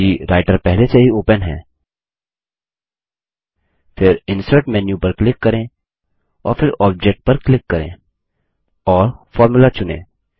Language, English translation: Hindi, If Writer is already open, then click on the Insert menu at the top and then click on Object and choose Formula